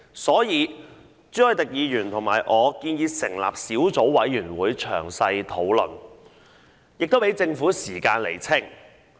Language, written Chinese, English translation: Cantonese, 所以，朱凱廸議員和我建議成立小組委員會詳細討論，亦給政府時間釐清。, Hence Mr CHU Hoi - dick and I proposed that a subcommittee be set up to further discuss the issue and allow the Government more time to clarify those concerns